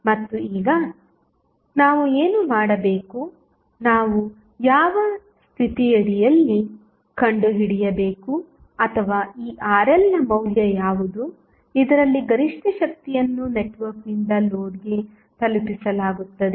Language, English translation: Kannada, And now, what we have to do we have to find out under which condition or what would be the value of this Rl at which the maximum power would be delivered by the network to the load